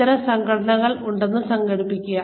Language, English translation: Malayalam, Just imagine, there are organizations like these